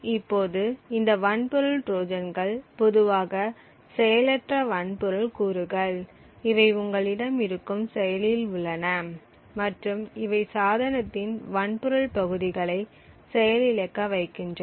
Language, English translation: Tamil, So, these hardware Trojans are typically passive hardware components present in your processor or any other device and these hardware Trojans can potentially alter the functionality of the hardware device